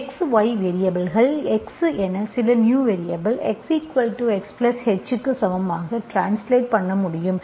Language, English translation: Tamil, Translate x, y variables as x equal to some new variable plus H